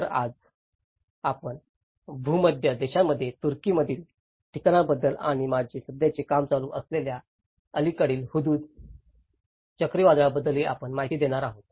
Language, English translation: Marathi, So, today we will be covering about places in Turkey in the Mediterranean countries and also the recent Hudhud cyclone which my present work is also going on